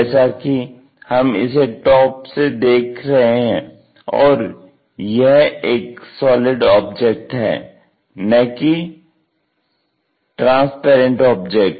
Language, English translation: Hindi, Now, this one because we are looking from top and it is a solid object, it is not straightforwardly transparent thing